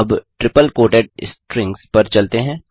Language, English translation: Hindi, Let us now move on to the triple quoted strings